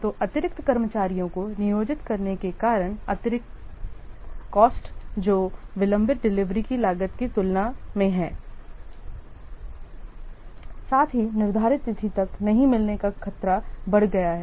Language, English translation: Hindi, So, the additional cost due to employing extra staff that has to be compared to the cost of delayed delivery as well as the increased risk of not meeting the schedule date